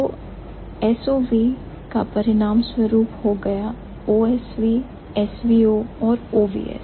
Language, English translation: Hindi, So, so, we might result in SVO, OSV and OVS